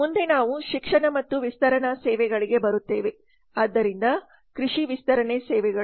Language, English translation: Kannada, next we come to education and extension services so agriculture extension services